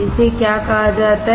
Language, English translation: Hindi, What is this called